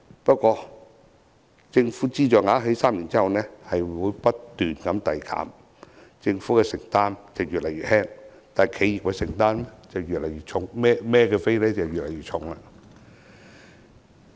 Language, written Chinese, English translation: Cantonese, 不過，政府資助額在3年後會不斷遞減，政府的承擔越來越輕，但企業的承擔則越來越重。, But the amount of subsidy will be gradually reduced after three years . The Governments commitment will gradually diminish while the enterprises commitment will gradually become heavy